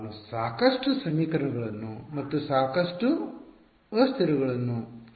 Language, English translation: Kannada, How will I get enough equations and enough variables